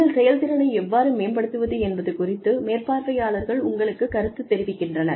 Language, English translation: Tamil, Supervisors give you feedback on, how to improve your performance